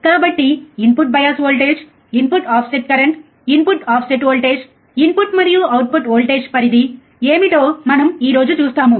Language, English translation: Telugu, So, we will see today what are input bias voltage input offset current input offset voltage, input and output voltage range